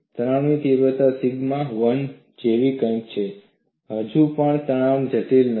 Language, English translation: Gujarati, The stress magnitude is something like sigma 1; still the stress is not critical